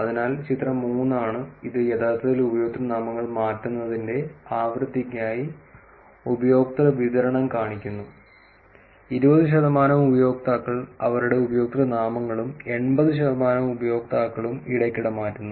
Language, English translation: Malayalam, So, here is figure 3, which actually shows user distribution for frequency of changing user names, 20 percent of the users frequently changed this usernames and 80 percent of the users change rarely